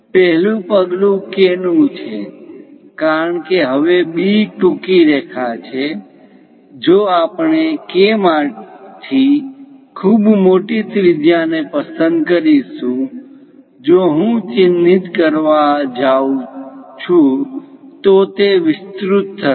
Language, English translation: Gujarati, The first step is from K because now B is a shorter line if we are picking very large radius; from K, if I am going to mark, it will be extending